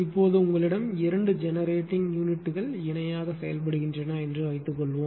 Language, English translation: Tamil, Now, suppose you have two generating units operating in parallel